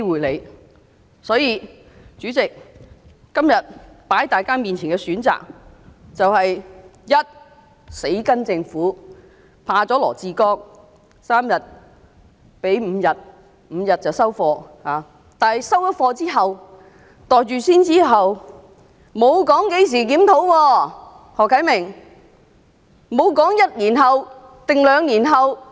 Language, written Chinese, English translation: Cantonese, 代理主席，今天放在大家眼前的選擇就是：第一，跟從政府，怕了羅致光局長 ，3 天增至5天便收貨，但"收貨"、"袋住先"之後，沒有提到會在何時作檢討。, Deputy Chairman today we are faced with the following choices . First accede to the Governments proposal and yield to Secretary Dr LAW Chi - kwong ie . accept an increase of paternity leave from three days to five days